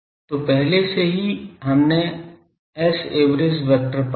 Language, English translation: Hindi, So, already we have found s average vector